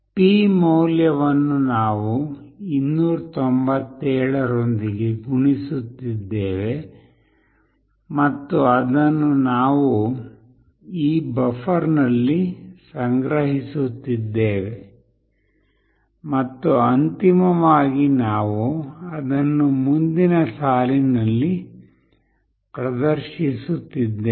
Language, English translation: Kannada, p is whatever we have got that we are multiplying with this value 297 and we are storing it in this buffer, and finally we are displaying it in the next line